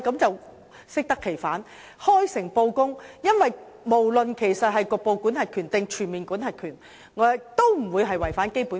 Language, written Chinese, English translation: Cantonese, 政府必須開誠布公，因為不論是局部管轄權還是全面管轄權，兩者也不會違反《基本法》。, The Government must act in an open and transparent manner because neither partial nor full jurisdiction will contravene the Basic Law